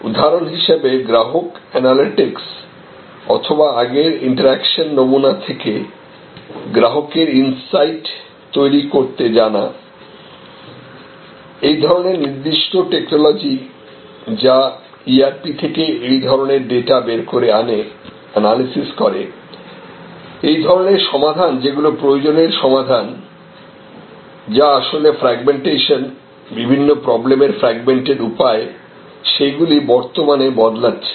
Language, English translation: Bengali, So, say for example, customer analytics or knowing developing customer insight from the interaction pattern of the past and the particular technology that extracted such data from the ERP and then analyzed, this kind of fixes, this kind of purpose fixes that actually what fragmentation, fragmented way on different problems are now changing